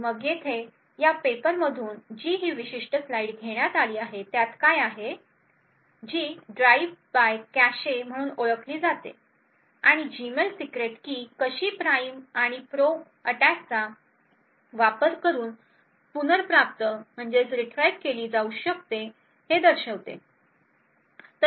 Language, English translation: Marathi, this paper over here which is known as the Drive by Cache and it actually showed how the Gmail secret key can be retrieved by using a prime and probe attack